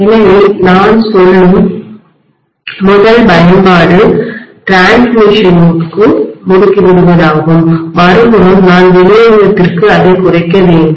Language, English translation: Tamil, So first application I would say is stepping up for transmission and very clearly on the other side I have to step down for distribution